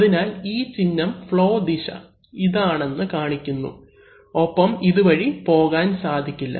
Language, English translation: Malayalam, So, this is a symbol which shows that the flow direction is this and this way it cannot pass